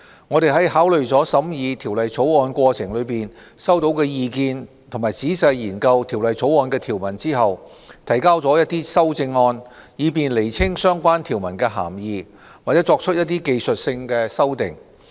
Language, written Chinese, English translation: Cantonese, 我們在考慮了審議《條例草案》過程中收到的意見及仔細研究《條例草案》的條文後，提交了一些修正案，以便釐清相關條文的涵義，或作出一些技術性修訂。, Having considered the comments received during the deliberation process and after carefully examining the provisions of the Bill we have proposed a number of amendments to state more clearly the meanings of relevant provisions or to make technical amendments